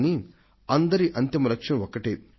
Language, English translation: Telugu, But all of them share the same final goal